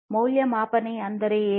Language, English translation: Kannada, What is the value proposition